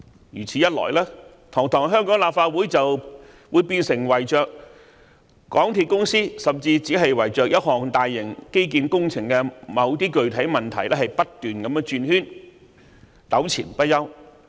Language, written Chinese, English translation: Cantonese, 如果是這樣，堂堂香港立法會就會變成圍繞港鐵公司，甚至只是圍繞一項大型基建工程的某些具體問題不斷轉圈，糾纏不休。, In that event the dignified Legislative Council of Hong Kong will revolve around MTRCL or even just around the specific issues of a certain infrastructure project and there will be interminable wranglings